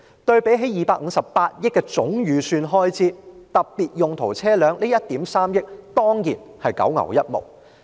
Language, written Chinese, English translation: Cantonese, 對比警務處258億元的總開支預算，特別用途車輛花的1億 3,000 萬多元當然只是九牛一毛。, Compared to the total Estimate of Expenditure of 25.8 billion for the Police Force the some 130 million to be spent on specialized vehicles is certainly a drop in the bucket